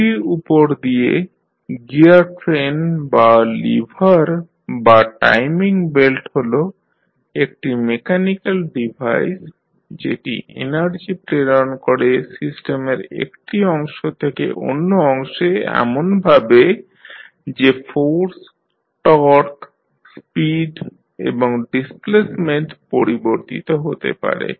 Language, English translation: Bengali, So, gear train or lever or the timing belt over a pulley is a mechanical device that transmits energy from one part of the system to another in such a way that force, torque, speed and displacement may be altered